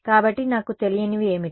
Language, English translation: Telugu, So, what were my unknowns